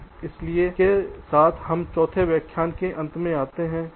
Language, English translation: Hindi, ok, so with this we come to the end of ah, the forth lecture